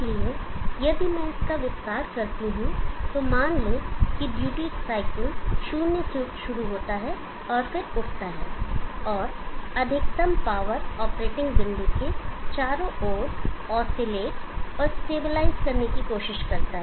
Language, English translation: Hindi, So if I expand that, so observe that the duty cycles starts from zero and then picks up and tries to oscillate and stabilize around the maximum power point operating point